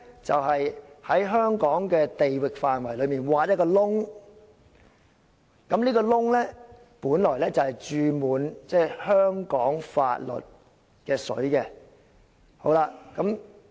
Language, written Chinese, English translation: Cantonese, 就是在香港的地域範圍內挖一個洞，而這個"洞"本來注滿香港法律的"水"。, A hole will be dug inside Hong Kong and this hole should originally be filled with the water of Hong Kong laws